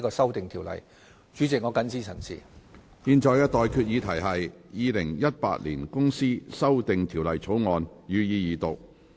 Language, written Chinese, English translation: Cantonese, 我現在向各位提出的待議議題是：《2018年公司條例草案》，予以二讀。, I now propose the question to you and that is That the Companies Amendment Bill 2018 be read the Second time